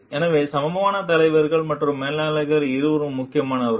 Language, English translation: Tamil, So, equally leaders and managers are both important